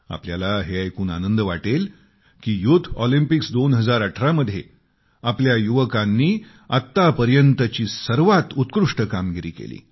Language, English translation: Marathi, You will be pleased to know that in the Summer Youth Olympics 2018, the performance of our youth was the best ever